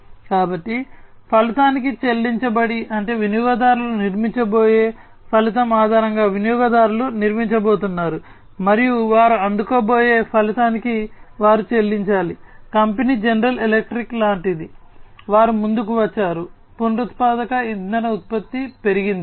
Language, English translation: Telugu, So, pay per outcome means based on the outcome the users are going to be the users are going to be built, and they have to pay per the outcome that they are going to receive, company is like General Electric, they have come up with increased renewable energy production